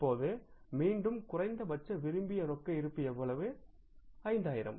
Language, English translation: Tamil, Now again same thing, minimum cash balance desired is how much